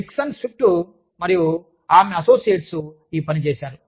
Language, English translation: Telugu, Dixon Swift and her Associates, did this